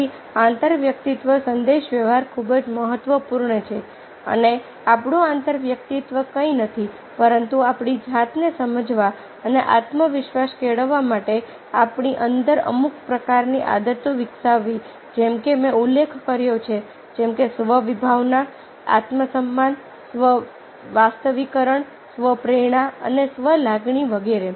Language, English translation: Gujarati, so intrapersonal communication is very, very important and our intrapersonal is nothing but developing certain kinds of ah habits within ourselves to understand ourselves and to develop confidence related to all these kinds of self as i mention, like self concepts, self esteem, self actualization, self motivation and the self emotion, etcetera, etcetera